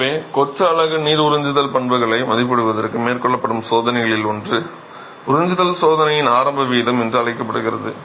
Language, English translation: Tamil, So, one of the tests that are carried out to evaluate the water absorption property of a masonry unit is called the initial rate of absorption test, right